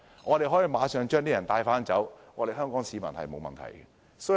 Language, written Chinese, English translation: Cantonese, 我們可以馬上送走那些外勞，不會對香港市民構成問題。, We can send them home right away and they will not pose any problem to Hong Kong people